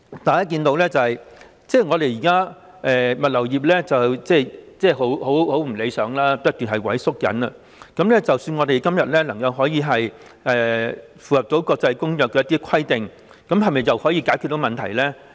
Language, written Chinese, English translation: Cantonese, 大家看到現時物流業並不理想，市場正不斷萎縮，即使我們今天能夠符合有關的國際公約的規定，又是否可以解決得到問題呢？, We can see that the logistics industry is not performing well . Its market is shrinking . Even if we manage to comply with the requirements set out in the international convention today can this resolve the problem?